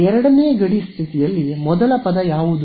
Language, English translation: Kannada, Second boundary condition, what will be the first term